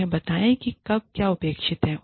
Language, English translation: Hindi, Tell them, what is expected, when